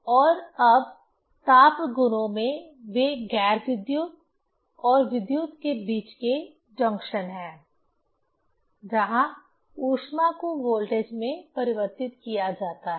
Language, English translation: Hindi, And now in thermal properties they are the junction between the non electric and electrical where heat is converted into the voltage